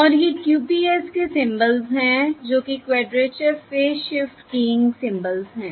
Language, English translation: Hindi, And these are QPSK symbols, that is, Quadrature Phase Shift Keying symbols